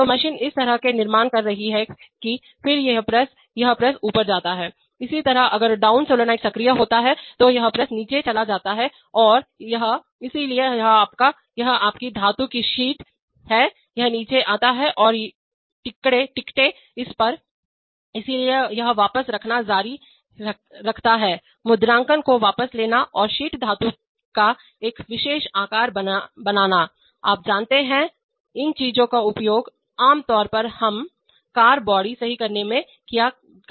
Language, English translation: Hindi, So the machine is constructing such a manner that then, this press, this press goes up, similarly if the down solenoid is energized then this press goes down and this, so this is your, this is your metal sheet, it comes down and stamps on it, so it keeps stamping retracting, stamping retracting and creating a particular shape of sheet metal, you know, these things are typically used in making let us say car bodies, right